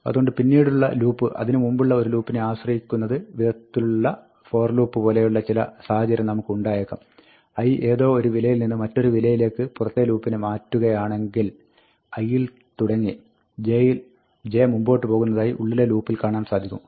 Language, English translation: Malayalam, So, we can have a situation, just like we have in a 'for loop', where the later loop can depend on an earlier loop; if the outer loop says, i to some, i goes from something to something, the later loop can say that, j starts from i, and goes forward